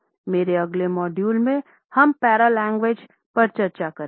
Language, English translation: Hindi, In my next module, I would take up paralanguage for discussions